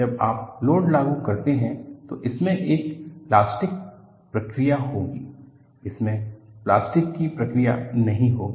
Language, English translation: Hindi, When you apply the load, it will have elastic response; it will not have a plastic response